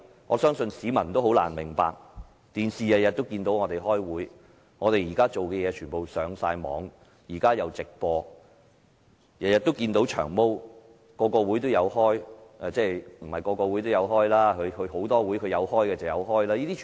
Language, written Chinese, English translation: Cantonese, 我相信市民也很難明白，市民每天都能從電視上看見我們開會，我們的行為舉止正在網上直播，每天都能看見"長毛"，每個會也有出席——當然，他只出席他有參與的會議。, I believe the public do not have a clue about this too . The people can watch us on television holding meetings every day and our actions are broadcasted live on the Internet . In fact Long Hair can be seen on television each day and he attends every meeting―of course I mean he attends all meetings he participates in